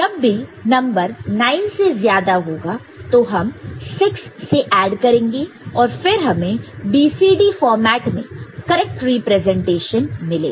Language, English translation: Hindi, Whenever the number increase is more than 9 you add 6 you will get the corresponding a correct representation of, in the BCD format ok